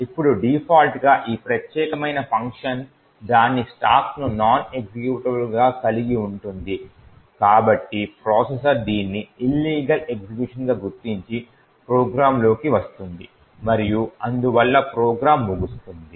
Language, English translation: Telugu, Now since this particular function by default would have its stack as non executable therefore the processor detects this as an illegal execution being made and falls the program and therefore the program terminates